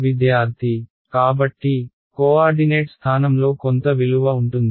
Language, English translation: Telugu, So, at the position of the co ordinate has some value